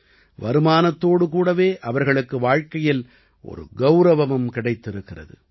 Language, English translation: Tamil, Along with income, they are also getting a life of dignity